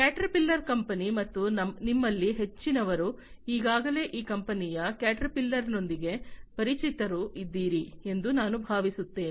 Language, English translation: Kannada, The company Caterpillar, and I think most of you are already familiar with this company Caterpillar